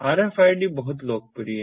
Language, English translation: Hindi, rfid is very popular